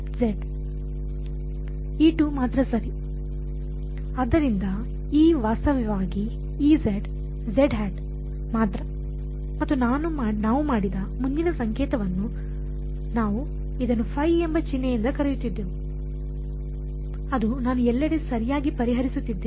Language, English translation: Kannada, So, E is actually only E z z hat and the further notation that we made was we called it by the symbol phi that was the variable that I was solving everywhere right